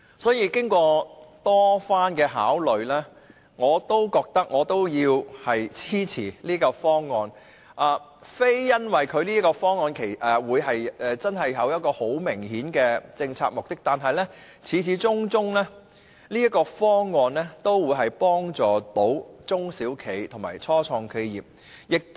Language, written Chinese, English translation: Cantonese, 所以，經過多番考慮，我仍要支持這個方案，並非因為方案有很明顯的政策目的，但方案始終可以幫助中小企及初創企業。, As such I have decided to support the proposal after repeated consideration . The reason is not that the proposal has any obvious policy objective but that it can after all help SMEs and start - up enterprises